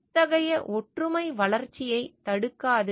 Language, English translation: Tamil, Such oneness does not hinder development